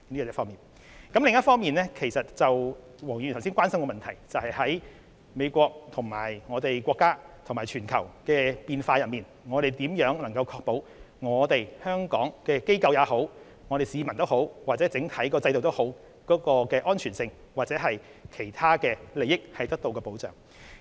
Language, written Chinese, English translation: Cantonese, 另一方面，黃議員關心，當美國與我們國家及全球的關係出現變化時，政府如何確保香港的機構、市民或整體制度的安全，以及如何確保其他利益得到保障？, On the other hand at a time when the US has changed its relationship with our country and the world Mr WONG is concerned about how the Government ensures the security of corporations residents or overall systems in Hong Kong as well as safeguards other interests